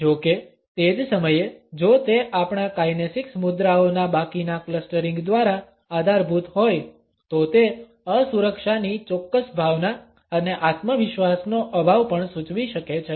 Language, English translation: Gujarati, However, at the same time if it is supported by the rest of the clustering of our kinesics postures it can also indicate a certain sense of insecurity and lack of self confidence